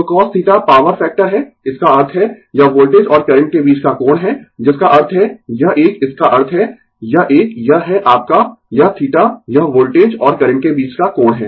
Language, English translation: Hindi, So, cos theta is the power factor right, that means, it is the angle between the voltage and the current that means, this one that means, this one this is your this theta this is the angle between the voltage and the current right